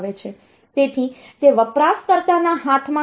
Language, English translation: Gujarati, So, that is not in the hand of the user